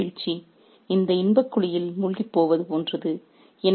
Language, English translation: Tamil, This political downfall is like getting sunk in this pit of pleasure as well